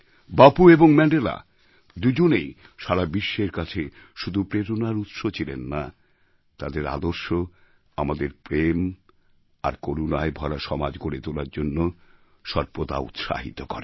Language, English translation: Bengali, Both Bapu and Mandela are not only sources of inspiration for the entire world, but their ideals have always encouraged us to create a society full of love and compassion